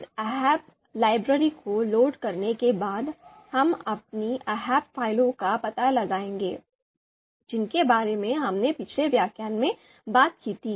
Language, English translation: Hindi, So after loading this ahp library, we will locate our ahp files which we talked about in the previous lecture